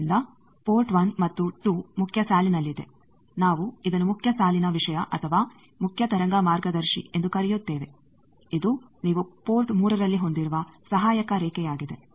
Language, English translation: Kannada, So, port 1 and 2 is in the main line, we call it main line thing or main wave guide, this is an auxiliary line you have port 3